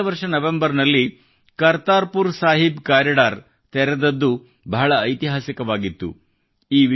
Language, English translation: Kannada, Opening of the Kartarpur Sahib corridor in November last year was historic